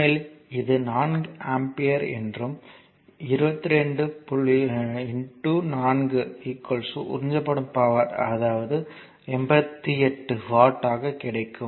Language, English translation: Tamil, So, this is actually your 4 ampere so; that means, 22 into 4 the power absorbed by this source will be 88 watt